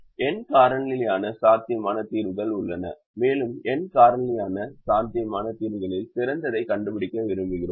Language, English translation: Tamil, there are n factorial possible solutions and we want to find out the best out of the n factorial possible solutions